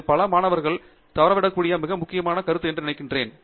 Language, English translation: Tamil, So, I think that is a very important point which is probably missed out by many students